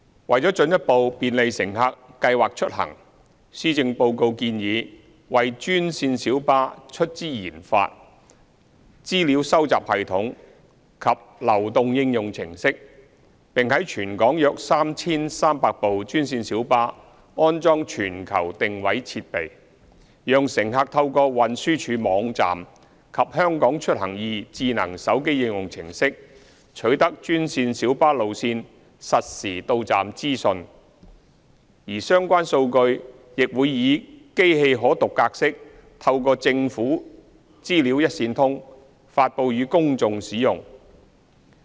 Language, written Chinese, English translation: Cantonese, 為了進一步便利乘客計劃出行，施政報告建議為專線小巴出資研發資料收集系統及流動應用程式，並在全港約 3,300 部專線小巴安裝全球定位設備，讓乘客透過運輸署網站及"香港出行易"智能手機應用程式取得專線小巴路線實時到站資訊，而相關數據亦會以機器可讀格式透過政府"資料一線通"發布予公眾使用。, To further facilitate the planning of trips by passengers the Policy Address proposes to fund and develop a data collection system and a mobile application as well as install global positioning devices on around 3 300 green minibuses in the territory so as to enable passengers to get access to the real - time arrival information of green minibus routes through the Transport Departments website and e - Mobility mobile application . The relevant data will also be released in machine - readable format via DATAGOVHK for public use